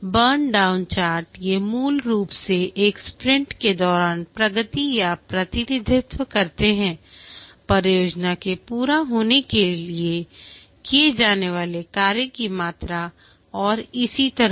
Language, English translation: Hindi, The burn down charts, these are basically concise representations of the progress during a sprint, the amount of the work to be done for project completion and so on